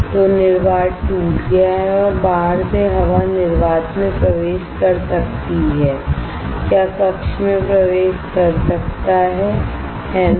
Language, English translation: Hindi, So, that the vacuum is broken and air from the outside can enter the vacuum can enter the chamber, right